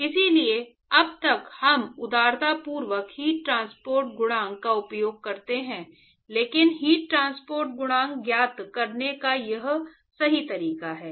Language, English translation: Hindi, So, so far we liberally use heat transport coefficient, but this is the correct way to find the heat transport coefficient